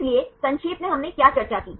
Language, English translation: Hindi, So, summarizing what did we discuss